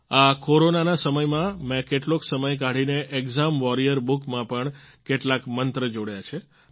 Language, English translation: Gujarati, In the times of Corona, I took out some time, added many new mantras in the exam warrior book; some for the parents as well